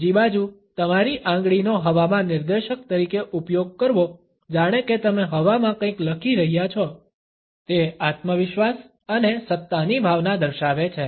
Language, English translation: Gujarati, On the other hand, using your finger as a pointer in the air, as if you are writing something in the air, indicates a sense of confidence and authority